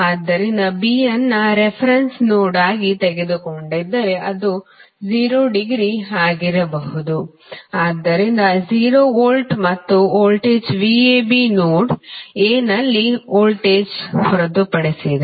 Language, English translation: Kannada, So, if you take B as a reference node then it is potential can be at 0 degree, so at 0 volt and voltage V AB is nothing but simply voltage at node A